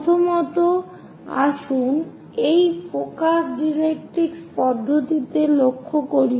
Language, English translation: Bengali, First of all let us focus on this focus directrix method